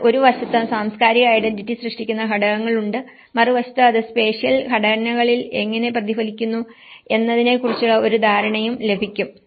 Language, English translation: Malayalam, But at least it will get an idea of how, on one side we have the structures that create the cultural identity, on the other side, we have how it is reflected in the spatial structures